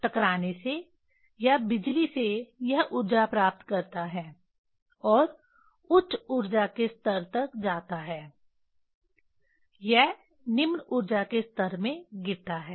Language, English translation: Hindi, From hitting or from electricity it gain energy and goes to the higher energy levels when it jump to the lower energy levels